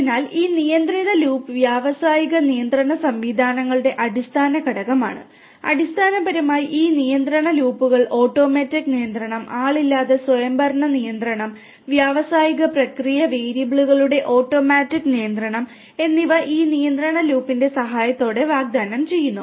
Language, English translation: Malayalam, So, this control loop is the fundamental element of industrial control systems and this basically these control loops help in automatic control, unmanned autonomous control, automatic control of industrial process variables is offered with the help of this control loop